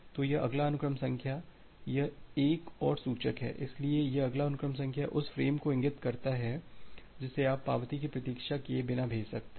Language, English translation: Hindi, So, this next sequence number this is another pointer so, this next sequence number points to the frame which you can send without waiting for the acknowledgement